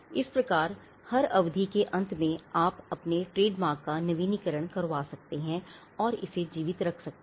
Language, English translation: Hindi, So, at every end of every term, you can renew their trademark and keep it alive